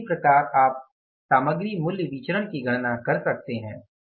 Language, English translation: Hindi, Now similarly you can calculate the material price variance